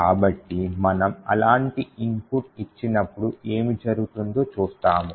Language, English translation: Telugu, So, we will see what happens when we give such an input